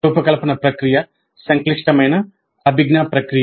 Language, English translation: Telugu, The design process itself is a complex cognitive process